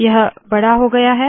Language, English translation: Hindi, It has become bigger